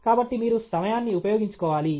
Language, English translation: Telugu, So, you have to spend time